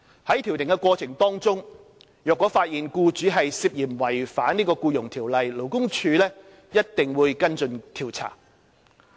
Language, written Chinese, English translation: Cantonese, 在調停過程中，若發現僱主涉嫌違反《僱傭條例》，勞工處一定會跟進調查。, Suspected breaches by employers under the Employment Ordinance if detected during conciliation will be followed up by LD for investigation